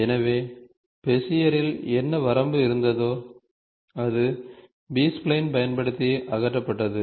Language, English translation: Tamil, So, what limitation was there in Bezier, was removed by using B spline